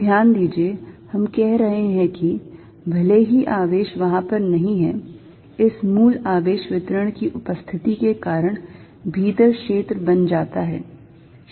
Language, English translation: Hindi, So, notice, what we are saying is, even if this charge is not there, due to the presence of this original charge distribution of field is created inside